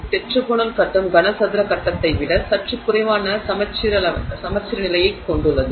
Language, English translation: Tamil, The tetraginal phase has a little less symmetry than the cubic face